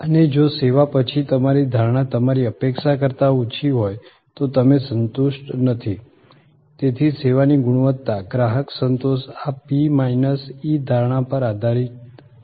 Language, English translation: Gujarati, And if your perception after the service is lower than your expectation, then you are not satisfied, so the service quality customer satisfaction depend on this P minus E perception